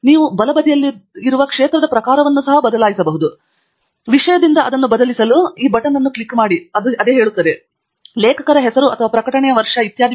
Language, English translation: Kannada, You can change the type of field here on the right hand side, click on this button to change it from Topic to, say, Author Name or Year of Publication etcetera